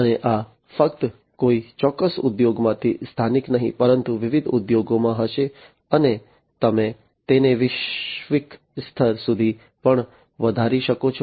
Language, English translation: Gujarati, And this is not going to be just local within a particular industry, but across different industry, and also you can scale it up to the global level